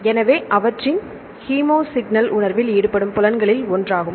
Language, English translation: Tamil, So, olfaction is one of the senses involved in the perception of the chemosignals